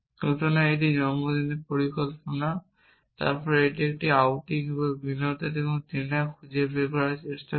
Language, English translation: Bengali, So, this is birthday plan then it tries to find an outing and entertainment and dinner or may be this is have entertainment